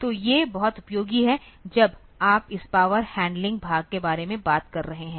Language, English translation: Hindi, So, these are very useful when you are when you are talking about this power handling part